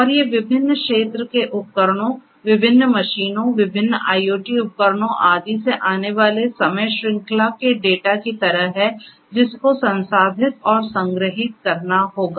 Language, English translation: Hindi, And these are like time series data coming from different field devices, machines different machines, different IoT devices and so on which will have to be stored processed and so on